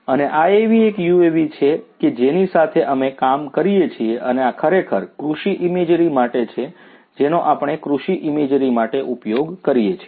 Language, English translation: Gujarati, And, this is one such UAV that we work with and this is actually for agro imagery we use it for agro imagery